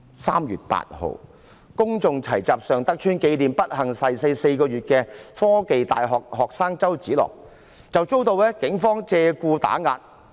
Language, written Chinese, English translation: Cantonese, 3月8日，公眾齊集尚德邨，紀念不幸逝世4個月的香港科技大學學生周梓樂，遭警方借故打壓。, On 8 March people gathered in Sheung Tak Estate to commemorate the death of Alex CHOW the student of The Hong Kong University of Science and Technology who unfortunately passed away four months ago . They were oppressed by the Police with excuses